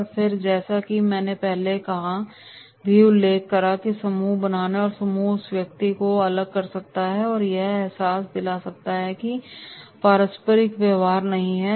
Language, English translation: Hindi, And then as I mentioned earlier also that is by this way we have to by making the group, group may isolate that particular person and make him realise that no this is not relevant behaviour